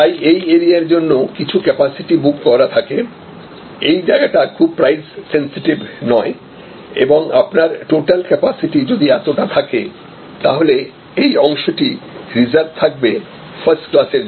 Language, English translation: Bengali, Therefore, this is the area where a certain capacity will be booked for this, this is not very price and sensitive and this will be a this part of the if this is the total capacity if this is the total capacity, then this part will be reserve for first class